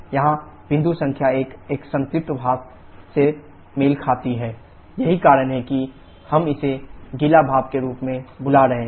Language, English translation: Hindi, Here, the point number 1 corresponds to a saturated vapour, that is why we are calling it as wet steam